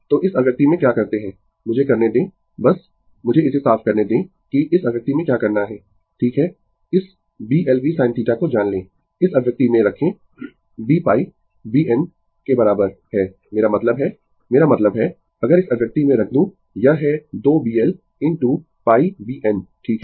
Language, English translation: Hindi, So, what you do in this expression, let me just let me clear it what you do in this expression right, you know that B l v sin theta, you put in this expression b is equal to pi b n I mean I mean, if you put in this expression it is 2 B l into your pi B n, right